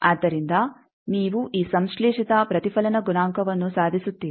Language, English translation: Kannada, So, that you achieve this synthesized reflection coefficient